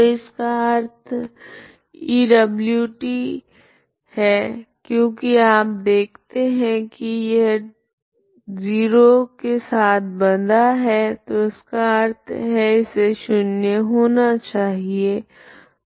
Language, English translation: Hindi, So this implies E w of t because you see is bound with 0 so that means it has to be 0 for every t, okay